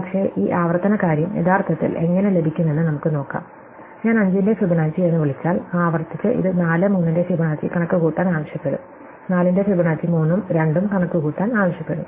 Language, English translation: Malayalam, But, let us see how this recursive thing would actually got, if I call Fibonacci of 5, recursively it would ask me to compute Fibonacci of 4 and 3, Fibonacci of 4 in turn will ask me to compute 3 and 2